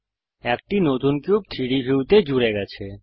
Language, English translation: Bengali, A new cube is added to the 3D view